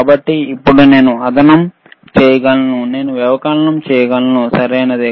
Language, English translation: Telugu, So now, I can do addition, I can do the subtraction, all right